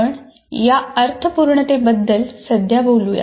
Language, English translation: Marathi, We'll talk about this meaningfulness presently